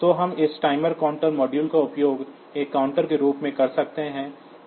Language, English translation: Hindi, So, we can use this module this timer counter module also as a counter